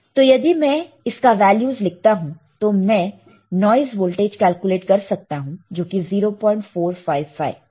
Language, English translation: Hindi, So, if I apply this if I write this values I can find out the noise voltage which is 0